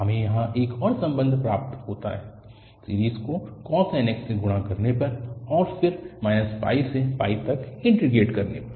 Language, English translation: Hindi, And, we got another relation here by multiplying the series by cos nx and then integrating over minus pi to pi